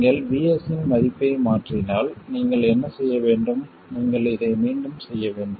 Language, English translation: Tamil, If you change the value of VS, what do you have to do